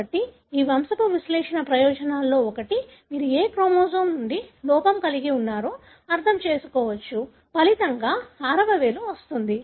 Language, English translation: Telugu, So, one of the benefits of this pedigree analysis is that you would understand as to from which of the chromosome you have the defect that results in for example the sixth finger